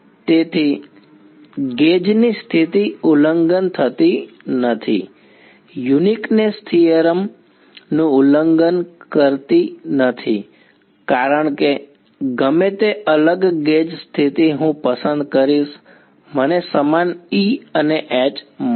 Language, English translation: Gujarati, So, the gauge condition is not violating the is not violating the uniqueness theorem, because whatever different gauge condition I will choose I get the same E and H